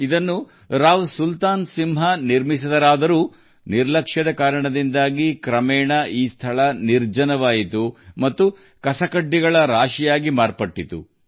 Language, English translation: Kannada, It was built by Rao Sultan Singh, but due to neglect, gradually this place has become deserted and has turned into a pile of garbage